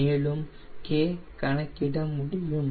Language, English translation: Tamil, if you want to calculate x